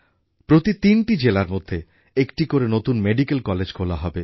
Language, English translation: Bengali, One new medical college will be set up for every three districts